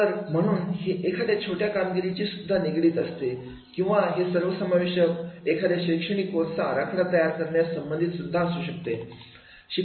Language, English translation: Marathi, So, therefore, it can be related to a particular small assignment or it can be related to the overall designing a course curriculum